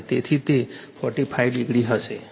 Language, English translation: Gujarati, So, it will be minus 45 degree